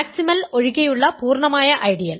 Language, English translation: Malayalam, So, it is a maximal ideal